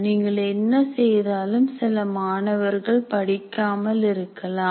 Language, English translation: Tamil, Some people, in spite of whatever you do, some students may not learn